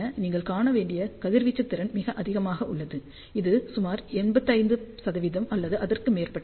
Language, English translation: Tamil, So, radiation efficiency you can see is very high that is about 85 percent or so